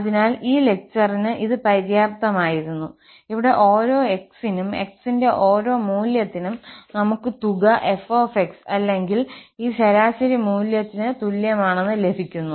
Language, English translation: Malayalam, So, this was sufficient for this lecture, where we have considered that for each x, for each value of x, we are getting the sum as f or equal to this average value